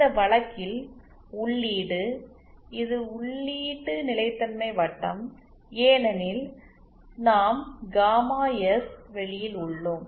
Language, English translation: Tamil, In this case the input this is the input stability circle because and we are in the gamma S plane